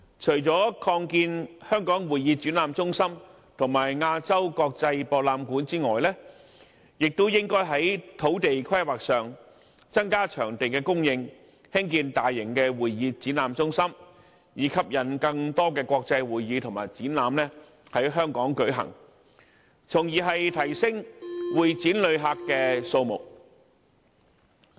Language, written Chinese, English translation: Cantonese, 除了擴建香港會議展覽中心和亞洲國際博覽館外，當局亦應該在土地規劃上增加會展場地的供應，以興建大型的會議展覽中心，吸引更多國際會議和展覽在香港舉行，從而提升會展旅客的數目。, Apart from expanding the Hong Kong Convention and Exhibition Centre and the Asia World - Expo the Administration should also increase venue supply from the perspective of land use planning so that large convention and exhibition centres can be constructed to attract the holding of more international conventions and exhibitions in Hong Kong thereby increasing the number of convention and exhibition visitors